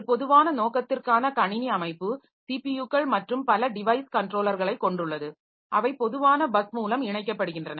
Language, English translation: Tamil, O structure, a general purpose computer system consists of CPUs and multiple device controllers that are connected through a common bus